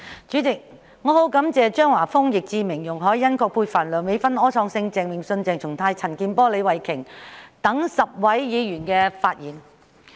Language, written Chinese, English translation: Cantonese, 主席，我很感謝張華峰議員、易志明議員、容海恩議員、葛珮帆議員、梁美芬議員、柯創盛議員、鄭泳舜議員、鄭松泰議員、陳健波議員及李慧琼議員10位議員的發言。, President I am very grateful to the 10 Members who have spoken namely Mr Christopher CHEUNG Mr Frankie YICK Ms YUNG Hoi - yan Ms Elizabeth QUAT Dr Priscilla LEUNG Mr Wilson OR Mr Vincent CHENG Dr CHENG Chung - tai Mr CHAN Kin - por and Ms Starry LEE